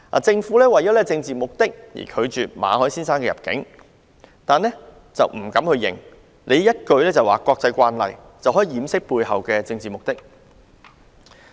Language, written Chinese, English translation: Cantonese, 政府為政治目的而拒絕馬凱先生入境，只是不敢承認，以一句"國際慣例"掩飾背後的政治目的。, The Government has refused the entry of Mr MALLET for political reasons but it dares not admit but seeks to cover up the political reasons on the pretext of international practice